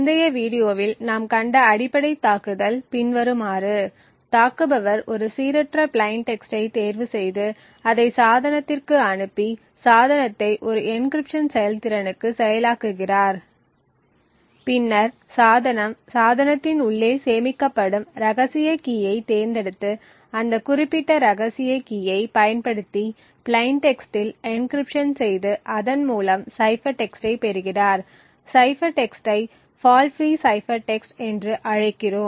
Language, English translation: Tamil, The basic attack as we have seen in the previous video is as following, attacker chooses a random plain texts passes it to the device and process the device to performance an encryption, the device would then pick the secret key which is stored inside the device perform an encryption on the plaintext using that particular secret key and obtain a cipher text, we call the cipher text as the fault free cipher text